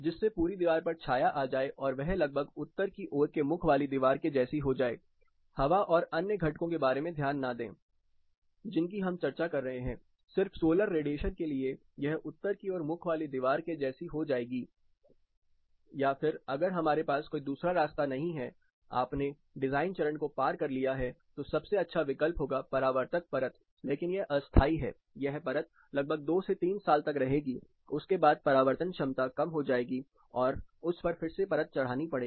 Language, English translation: Hindi, So, as to shade the complete wall, it becomes more or less equivalent to a north facing wall forgetting about the wind and other components which we are discussing just with solar radiation and this can be made equivalent to the north facing wall or if you further do not have choice, you have crossed the design stage, then the next best alternate would be to look for a reflective coating, but this is temporary, the coating would last for around 2 3 years after which it loses its reflective property, it has to be recoated